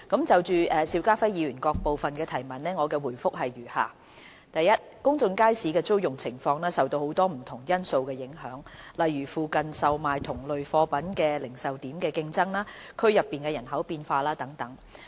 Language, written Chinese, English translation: Cantonese, 就邵家輝議員各部分的質詢，我答覆如下：一公眾街市的租用情況受到很多不同因素影響，例如附近售賣同類貨品的零售點的競爭、區內人口變化等。, My reply to the various parts of the question raised by Mr SHIU Ka - fai is as follows 1 The occupancy of public markets is influenced by many factors such as competition from retail outlets selling similar commodities in the vicinity and demographic changes in the district